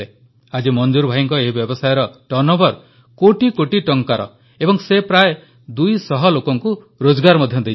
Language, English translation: Odia, Today, Manzoor bhai's turnover from this business is in crores and is a source of livelihood for around two hundred people